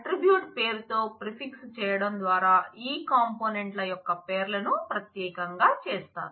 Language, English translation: Telugu, By prefixing with the attribute name, I make the names of these components necessarily unique